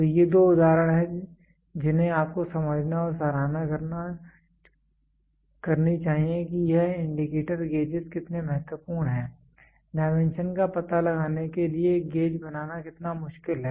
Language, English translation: Hindi, So, these two are examples which you should try understand and appreciate how important is this indicator gauges, how difficult is to make a gauge for finding out the dimension